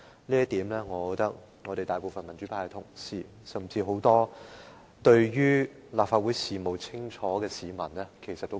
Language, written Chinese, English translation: Cantonese, 就此，我認為大部分民主派同事，甚至很多清楚認識立法會事務的市民，也會有同感。, In this connection I think most of the Honourable colleagues from the pro - democracy camp as well as many citizens who are well versed in the businesses of the Legislative Council will share this feeling